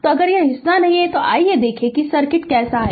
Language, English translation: Hindi, So, if this part is not there let us see the how the circuit is right